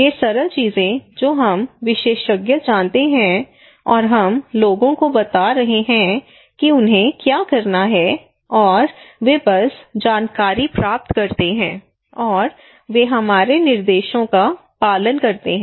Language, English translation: Hindi, These simple things that we experts know everything and we are passing telling the people what to do and they just get the informations, receive it, and they will follow our instructions okay